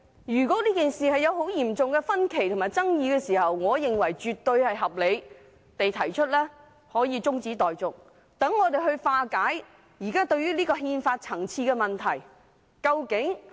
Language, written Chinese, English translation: Cantonese, 如果這件事引起嚴重的分歧和爭議，我認為提出中止待續絕對合理，好讓我們化解憲法層次上的問題。, If the incident has caused serious divergence and controversies I consider it absolutely reasonable to propose an adjournment so that we can resolve issues on the constitutional level